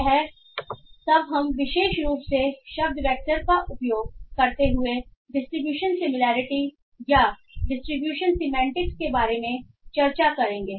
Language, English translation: Hindi, So this will be, this is all that we will be discussing regarding distribution similarity or distribution semantics especially using word vectors